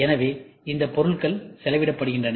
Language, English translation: Tamil, So, these material are spend